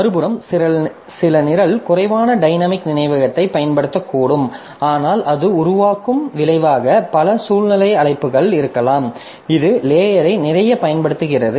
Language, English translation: Tamil, On the other hand some program may be using less of dynamic memory but it may have lot of recursive calls as a result it creates a it utilizes the stack a lot